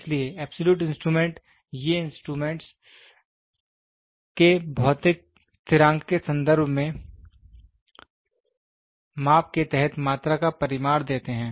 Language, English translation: Hindi, So, absolute instruments; these instruments give the magnitude of the quantities under measurement in terms of physical constants of the instrument